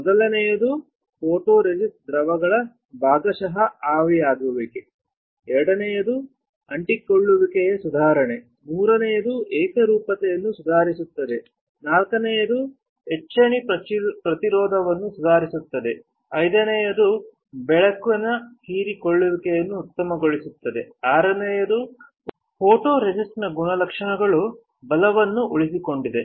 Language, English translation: Kannada, First is partial evaporation of photoresist solvents, second is improvement of adhesion, third is improving uniformity, fourth is improve etch resistance, fifth is optimize light absorbance, sixth is characteristics of photoresist is retained right